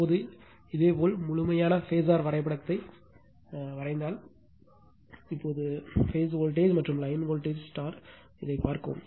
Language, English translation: Tamil, Now, if you draw the complete phasor diagram now your phase voltage and line voltage now look into this your right